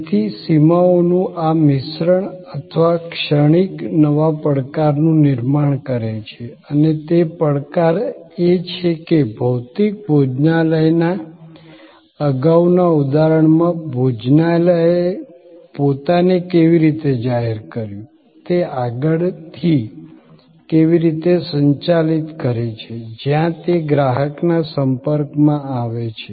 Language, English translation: Gujarati, So, this mix or transience of the boundaries, create new challenge and that challenge is that in the earlier example of a physical restaurant, how the restaurant publicized itself, how it manage the front end, where it comes in contact with the customer